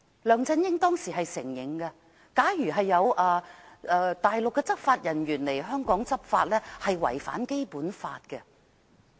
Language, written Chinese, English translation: Cantonese, 梁振英當時也承認，假如有大陸執法人員來港執法，那是違反《基本法》的。, He also conceded at that time that law enforcement personnel from the Mainland would be breaching the Basic Law should they take enforcement action in Hong Kong